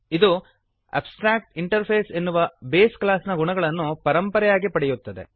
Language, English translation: Kannada, It inherits the properties of the base class abstractinterface